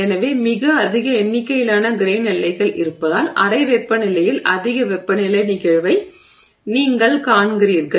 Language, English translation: Tamil, So, you are sort of seeing a high temperature phenomenon at room temperature simply due to the presence of a very large number of grain boundaries